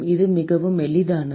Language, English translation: Tamil, It is a very simple